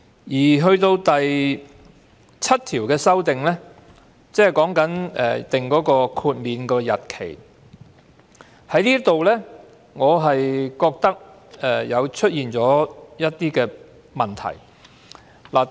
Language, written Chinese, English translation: Cantonese, 《條例草案》第7條的修訂有關豁免日期，我認為這裏出現了一些問題。, Clause 7 of the Bill seeks to amend the exemption date . I think there are some problems here